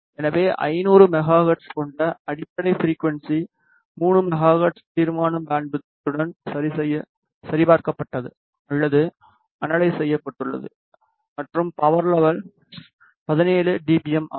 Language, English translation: Tamil, So, the fundamental frequency which is 500 megahertz has been checked or analyze with the resolution bandwidth of 3 megahertz and the power level is 17 dBm